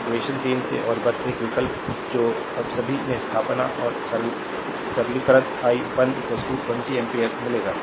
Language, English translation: Hindi, So, from equation 3 and one just substitute that is all , if you substitute and simplify you will get i 1 is equal to 20 ampere, right